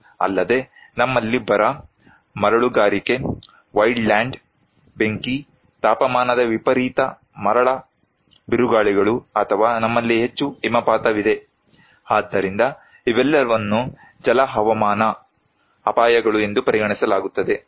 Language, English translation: Kannada, Also, we have drought, desertification, wildland fires, temperature extremes, sandstorms or we have more snow avalanches so, these are all considered as hydro meteorological hazards